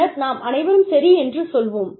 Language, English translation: Tamil, And then, we will all say, okay